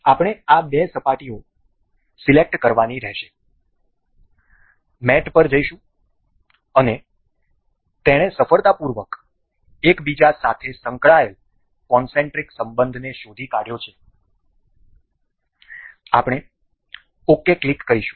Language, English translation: Gujarati, We will have we have to select these two surfaces we will go on mate, and it is successfully detected this concentric relation with each other we will click ok